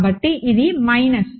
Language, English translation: Telugu, So, this is minus